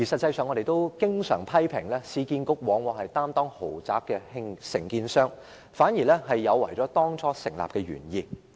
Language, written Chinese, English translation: Cantonese, 我們經常批評市建局擔當豪宅承建商，有違當初成立市建局的原意。, We always criticize URA for acting as the contractor of luxury properties which is contradictory to the original intent of establishing URA